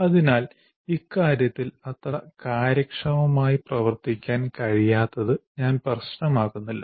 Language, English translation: Malayalam, So I don't mind being not that very efficient with respect to this